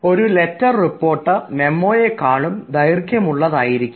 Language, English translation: Malayalam, now, a letter report, you will find it is longer than a memo